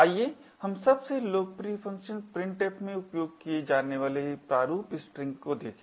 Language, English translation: Hindi, Let us look at format strings used in the most popular function printf